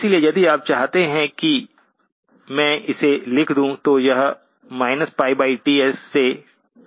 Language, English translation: Hindi, So if you want me to write it down, this will be minus pi by Ts to pi by Ts